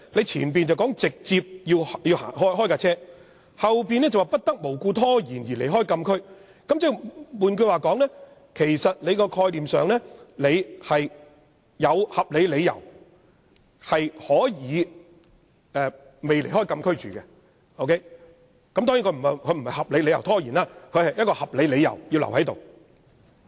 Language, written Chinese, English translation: Cantonese, 前面說"直接駛往"，後面卻說"不作無故拖延而離開禁區"，換言之，在概念上如有合理理由，是可以暫不離開禁區，當然不是有合理理由拖延，而是有合理理由而留下。, In other words theoretically if there are reasonable grounds the driver can temporarily stay at the closed area . Of course this does not mean a reasonable delay but a temporary stay out of reasonable grounds